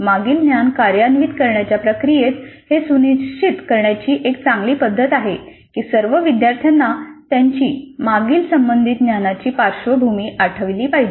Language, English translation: Marathi, In the process of the activation of the previous knowledge, this would be a good strategy to ensure that all the students really recall their previous knowledge background which is relevant